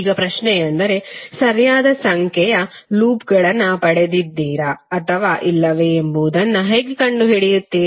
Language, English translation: Kannada, Now the question would be, how you will find out whether you have got the correct number of loops or not